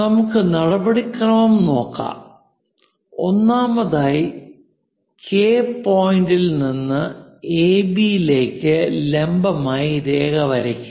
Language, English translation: Malayalam, Let us look at the procedure; first of all, draw a perpendicular to AB from point K, this is the object to what we have to do